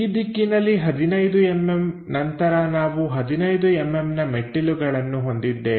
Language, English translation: Kannada, On this direction after 15 mm we have the step length of another 15 mm